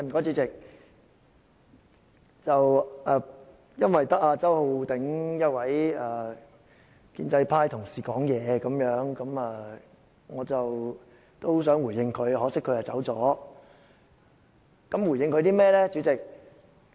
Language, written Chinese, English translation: Cantonese, 主席，由於只有周浩鼎議員一位建制派同事發言，我想回應他，可惜他已離席。, President since only one colleague of the pro - establishment camp Mr Holden CHOW has spoken I would like to make a response . But unfortunately Mr CHOW has left the Chamber